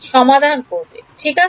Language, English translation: Bengali, Solve it right